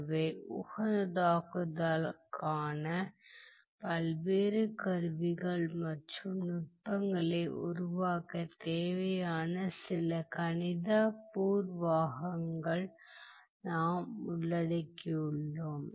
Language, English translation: Tamil, So, we have come covered some of the mathematical preliminaries required to develop the various the various tools and techniques for optimization